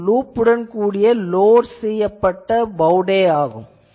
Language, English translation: Tamil, So, this is a bowtie antenna loaded with a loop